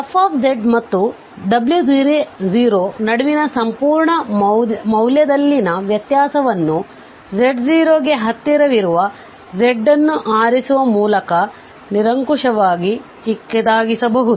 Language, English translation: Kannada, So, if the difference in the absolute value of this f z and w naught can be made arbitrarily small by choosing z close to close enough to z naught